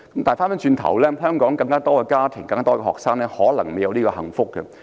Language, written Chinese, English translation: Cantonese, 相反，在更多香港家庭成長的學生，可能沒有這種幸福。, In contrast more students who have grown up in Hong Kong families may not have such a blessing